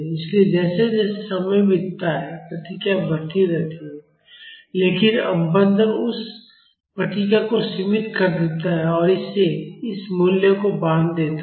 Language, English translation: Hindi, So, as the time goes by the response keeps on increasing, but damping makes that response bounded and it makes it bounded to this value